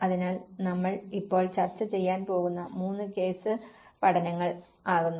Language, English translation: Malayalam, So, the three case studies which we will be discussing now